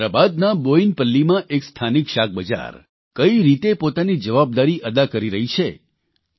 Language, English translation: Gujarati, I felt very happy on reading about how a local vegetable market in Boinpalli of Hyderabad is fulfilling its responsibility